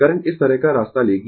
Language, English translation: Hindi, The current will take path like this, right